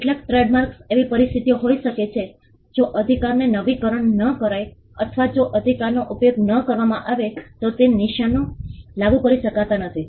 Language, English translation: Gujarati, Some of the trademarks can be situations where if the right is not renewed or if the right is not used then that marks cannot be enforced